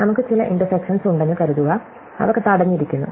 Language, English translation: Malayalam, Supposing we have some intersections, which are blocked